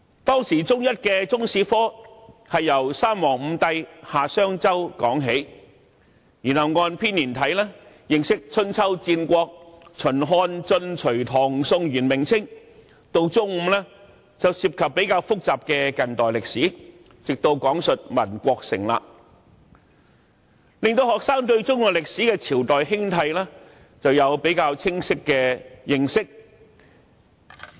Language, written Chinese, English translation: Cantonese, 當時，中一的中史科是從三皇五帝、夏、商、周說起，然後按編年體認識春秋、戰國、秦、漢、晉、隋、唐、宋、元、明、清，到了中五便涉及較複雜的近代歷史，直到講述民國成立，令學生對中國歷史的朝代興替有清晰的認識。, In those days the curriculum of Chinese History at Secondary One covered in a chronological order the Three Sovereigns and Five Emperors; the Xia Shang Zhou Dynasties; the Spring and Autumn and Warring States Periods the Qin Han Jin Sui Tang Song Yuan Ming and Qing Dynasties would be studied in a chronological order . In Secondary Five we studied the more complicated modern history up to the establishment of the Republic of China . In this way students would have a clear understanding of the rise and fall of dynasties in Chinese history